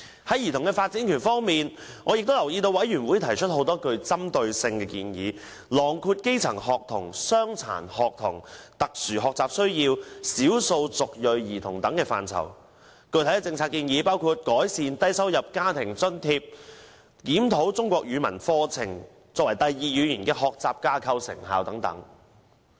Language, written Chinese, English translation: Cantonese, 在兒童發展權方面，我留意到小組委員會亦提出很多針對性的建議，囊括基層學童、傷殘學童、特殊學習需要及少數族裔兒童等範疇，具體政策建議包括改善低收入家庭津貼和檢討"中國語文課程第二語言學習架構"的成效等。, With regard to childrens right to development I notice that the Subcommittee has also made a number of targeted recommendations covering grass - roots students disabled students children with special education needs and ethnic minority children . Specific policy proposals include increasing the low - income family allowance and examining the effectiveness of the Chinese Language Curriculum Second Language Learning Framework